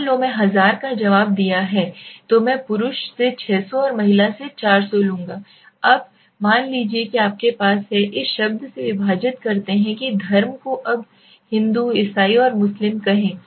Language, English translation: Hindi, Suppose I have 1000 responded so I will take 600 from male and 400 from female, now suppose you have divided from the term say let say religion, now say Hindu, Christian and Muslim